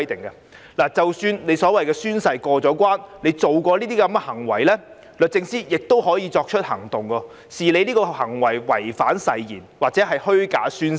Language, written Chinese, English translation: Cantonese, 任何公職人員即使在宣誓過關，但如果曾作出上述行為，律政司司長亦可作出行動，把他們的行為視作違反誓言或作虛假宣誓。, Even after a public officer has successfully taken the oath but if he or she has committed any of the aforesaid acts SJ can still bring proceedings to regard the acts as breaching an oath or making a false oath